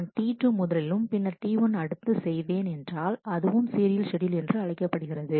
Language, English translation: Tamil, If I do T 2 and then I do T 1 it is a serial schedule as well